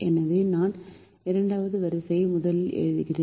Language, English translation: Tamil, so i write the second row first